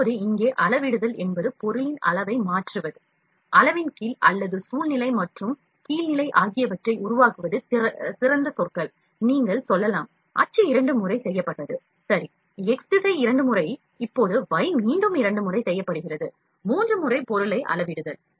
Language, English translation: Tamil, Now, here scaling means changing the size of the object, making it over size, under size or upscale and downscale are better words, you can say axis made twice, ok, x direction made twice now y is made again twice, thrice we are scaling the object